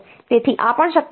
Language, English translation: Gujarati, So, these are also possible